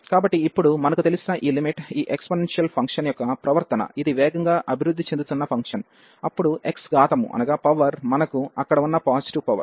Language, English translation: Telugu, So, now this limit we know already the behavior of these exponential function is this is a is a fast growing function, then x x power whatever positive power we have there